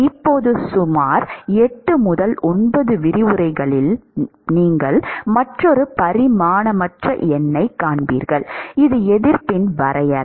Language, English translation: Tamil, In about 8 to 9 lectures from now, you will see another dimensionless number, which looks very similar except that the definition of the resistance is slightly different